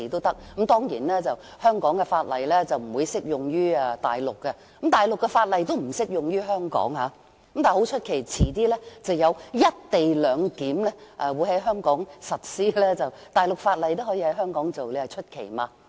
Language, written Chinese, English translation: Cantonese, 當然，香港的法例不適用於大陸，而大陸的法例亦不適用於香港，但很奇怪，稍後會在香港實施"一地兩檢"，大陸法例也可以在香港實施，你說奇怪嗎？, Of course the laws of Hong Kong are not applicable in the Mainland and the laws of the Mainland are not applicable in Hong Kong . But then when the co - location arrangements are implemented in Hong Kong later Mainland laws can also be enforced in Hong Kong . Isnt it very hard to understand?